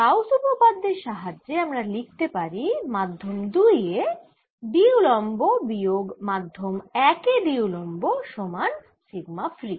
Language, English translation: Bengali, i can write by gausas theorem that d perpendicular in median two minus d perpendicular in medium one is equal to sigma free